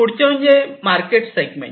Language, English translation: Marathi, The next is the market segment